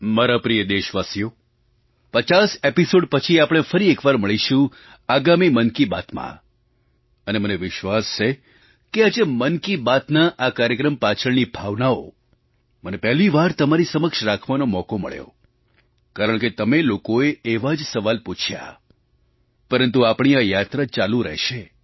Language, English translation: Gujarati, My dear countrymen, we shall meet once again in the next episode after this 50th episode of Mann Ki Baat and I am sure that in this episode of Mann Ki Baat today I got an opportunity for the first time to talk to you about the spirit behind this programme because of your questions